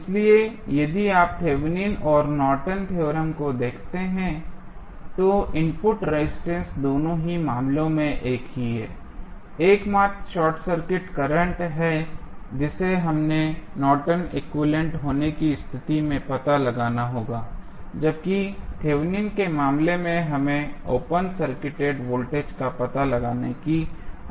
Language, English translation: Hindi, So, if you see Thevenin's and Norton's theorem, the input resistance is same in both of the cases the only change is the short circuit current which we need to find out in case of Norton's equivalent while in case of Thevenin's we need to find out the open circuit voltage